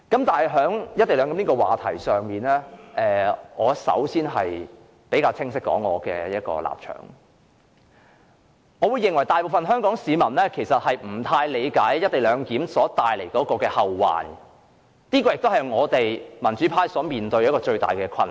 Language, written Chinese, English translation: Cantonese, 對於"一地兩檢"問題，我首先要清晰說明我的立場：我認為大部分香港市民其實不大理解"一地兩檢"帶來的後患，這也是民主派面對的最大困難。, I first have to state my position on the co - location arrangement clearly I think most of the people of Hong Kong do not really understand what future trouble will the co - location arrangement give rise to and this is also the greatest difficulty faced by the democratic camp